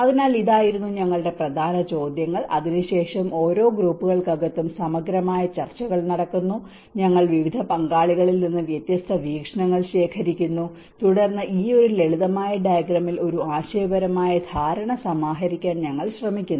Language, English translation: Malayalam, So this was our main important questions and after that is the thorough discussions happen within each groups, and we are collecting different viewpoints from different stakeholders, and then we try to compile in this one simple diagram a conceptual understanding